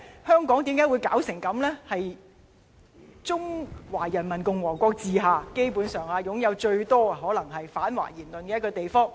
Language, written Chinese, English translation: Cantonese, 香港基本上可能是中華人民共和國治下擁有最多反華言論的地方。, Hong Kong is basically a place under the rule of the Peoples Republic of China where most anti - Chinese opinions are found